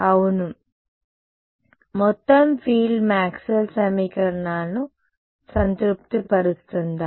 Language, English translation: Telugu, Yes does the total field satisfy Maxwell’s equations